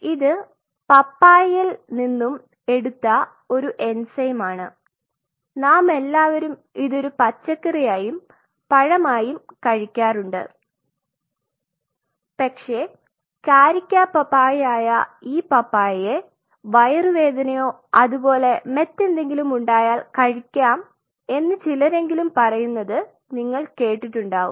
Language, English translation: Malayalam, This is one enzyme which is derived from papaya we all eat this as a vegetable as well as a fruit, but this papaya which is carica papaya and you must have seen many people say, if you are having a stomach upset or something or like you know you should take some papaya